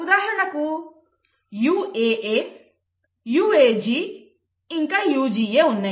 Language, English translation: Telugu, For example you will have UAA, UAG and then UGA